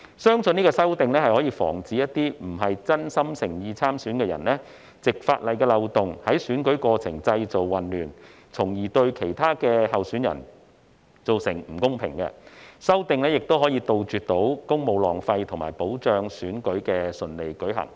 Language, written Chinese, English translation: Cantonese, 相信這項修正案可防止並非真心誠意參選的人士，藉法例的漏洞在選舉過程中製造混亂，從而對其他候選人造成不公，亦可杜絕公務浪費和保障選舉可順利進行。, I believe this amendment can prevent people who are not sincere in standing for election from exploiting the loopholes in law to create confusion in the election process thereby causing injustice to other candidates . It can also prevent wastage of public services and ensure that elections can be conducted smoothly